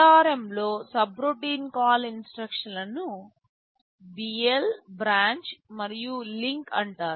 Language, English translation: Telugu, In ARM the subroutine call instruction is called BL, branch and link